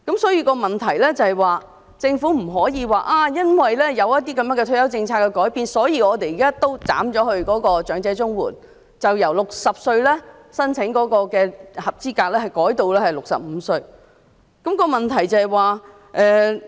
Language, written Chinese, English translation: Cantonese, 所以，政府不能說因為退休政策的改變，所以現時對長者綜援採取"一刀切"的做法，將合資格申請者年齡由60歲改為65歲。, Therefore the Government cannot adopt a broad - brush approach of extending the eligibility age for elderly CSSA from 60 to 65 on the ground of a change in the retirement policy